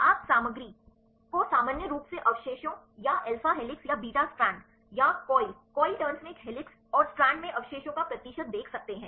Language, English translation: Hindi, You can see the contents a commonly residues or the percentage of residues in alpha helix or the beta strand or the coil right or a helices and strands